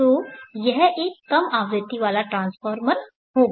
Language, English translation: Hindi, So it will be a low frequency transformer